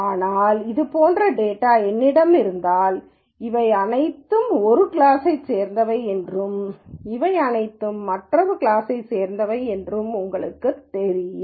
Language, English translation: Tamil, But let us say if I have data like this where you know all of this belongs to one class and all of this belongs to another class